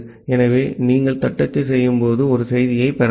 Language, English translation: Tamil, So, you can receive a message while you are doing the typing